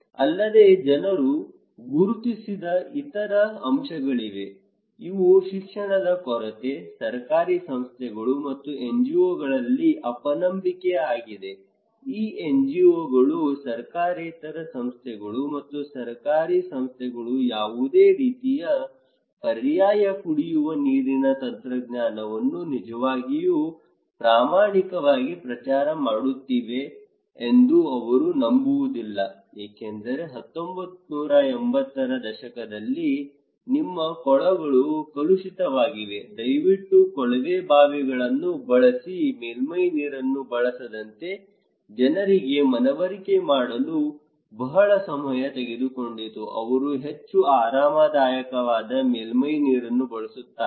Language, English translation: Kannada, Also, there are other factors people identified, these are lack of education, distrust and distrust in government agencies and NGOs, they cannot believe that these NGOs, nongovernmental organizations and governmental organizations are really honest promoting any kind of alternative drinking water technology because in 1980’s they were told that okay your surface, your ponds are contaminated, please use tube wells, it took a long time to convince people not to use surface water, they are more, more comfortable, much, much more comfortable using surface water which took much longer time spending a lot of investment projects to motivate people to use tube wells not surface water